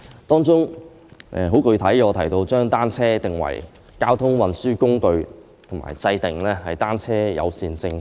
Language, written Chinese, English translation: Cantonese, 當中，我提出很具體的建議，就是將單車定為交通運輸工具及制訂單車友善政策。, Among the specific proposals I made one is about designating bicycles as a mode of transport and formulating a bicycle - friendly policy